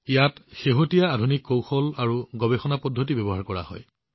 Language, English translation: Assamese, Latest Modern Techniques and Research Methods are used in this